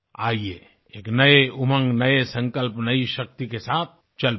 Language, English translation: Hindi, Come, let us proceed with a new zeal, new resolve and renewed strength